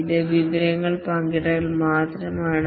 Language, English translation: Malayalam, This is only information sharing